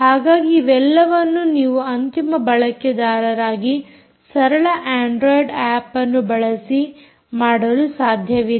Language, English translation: Kannada, so all of that you should be able to do as a end user, using a simple android app